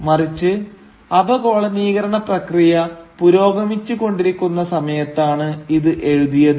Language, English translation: Malayalam, Rather, it was written at a time when the process of decolonisation was in progress